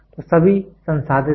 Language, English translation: Hindi, So, all are processed